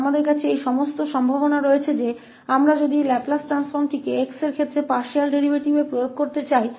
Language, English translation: Hindi, So, we have then all those possibilities that if we want to apply this Laplace transform to this partial derivative with respect to x